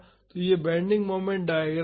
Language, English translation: Hindi, So, this is the bending moment diagram